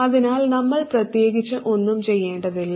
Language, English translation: Malayalam, So we don't even have to do anything